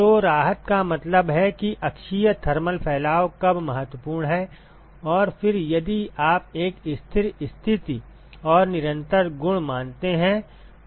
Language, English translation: Hindi, So, relief means when is axial thermal dispersion is important and then if you assume a steady state and constant property